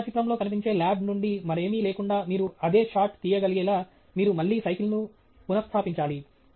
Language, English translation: Telugu, You should again reposition the bicycle, so that you are able to take the same shot without anything else from the lab appearing in the photograph